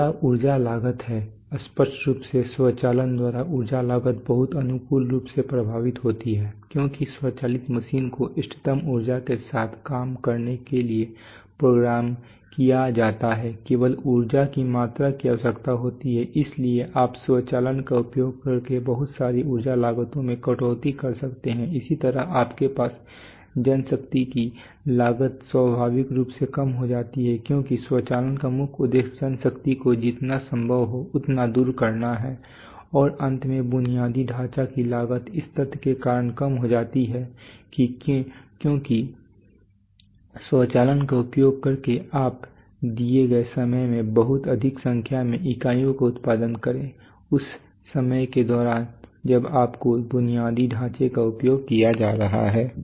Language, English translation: Hindi, Next is energy costs obviously energy cost is very favorably affected by, by automation because automatic machines are programmed to work with optimal energy, just the amount of energy which is needed, so you can you can cut down a lot of energy costs using automation similarly you have manpower costs are naturally cut down because the very purpose of automation is to do away with manpower so as much as possible and finally infrastructure costs come down because of the fact that because of a fact which is, so that because using automation you can produce a much larger number of units in a given time, during the time that your infrastructure is going to be used